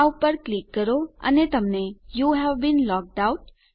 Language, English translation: Gujarati, Click on this and you get Youve been logged out